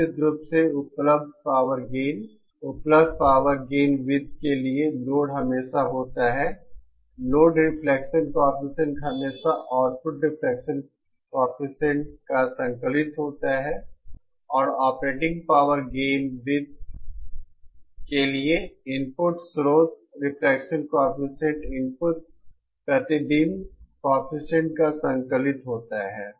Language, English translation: Hindi, Of course for the available power gain circles, the load is always, the load reflection coefficient is always the conjugate of the output reflection coefficient and for the operating power gain circle, the input, the the source reflection coefficient is the conjugate of the input reflection coefficient